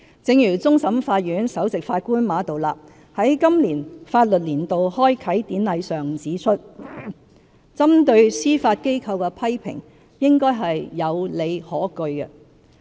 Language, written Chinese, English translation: Cantonese, 正如終審法院首席法官馬道立在今年法律年度開啟典禮上指出，針對司法機構的批評應該是有理可據。, As the Chief Justice of the Court of Final Appeal Mr Geoffrey MA Tao - li pointed out at the Ceremonial Opening of the Legal Year 2018 any criticisms which are levelled against the Judiciary should be on an informed basis